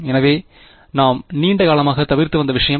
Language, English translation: Tamil, So, what is the thing that we have been avoiding all the long